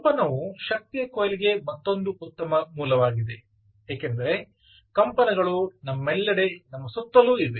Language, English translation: Kannada, vibration is another potentially good source for ah energy harvesting, because vibrations are all over us, all around us